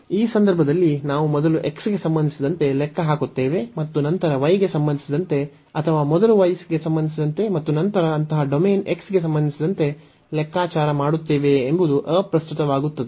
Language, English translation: Kannada, So, in this case it does not matter whether we first compute with respect to x and then with respect to y or first with respect to y and then with respect to x for such domain